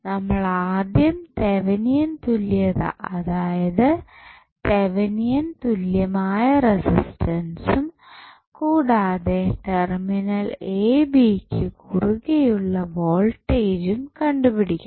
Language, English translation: Malayalam, So, what we have to do we have to first find the value of Thevenin equivalent that is Thevenin equivalent resistance as well as Thevenin voltage across the terminal AB